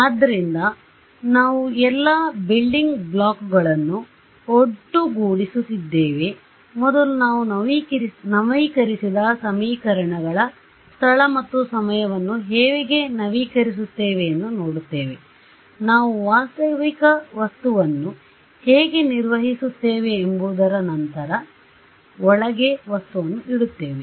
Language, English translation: Kannada, So, we are putting together all the building blocks, first we look at update equations space and time how do we update, then we put a material inside how do we handle a realistic material